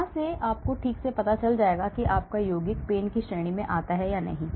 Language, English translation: Hindi, So, from there you will exactly find out whether your compound comes under this category of pains